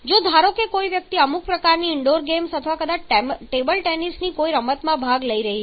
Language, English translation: Gujarati, If suppose someone is participating some kind of indoor games then or maybe something game of table tennis